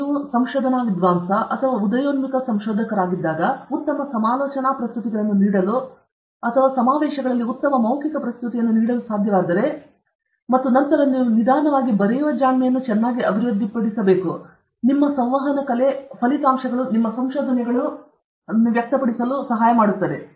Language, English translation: Kannada, We should be able to give good poster presentations, when you are research scholar or a budding researcher or you should able to give good oral presentation in conferences, and then, you should slowly develop the knack of writing very well, the art of communicating your results, your findings, results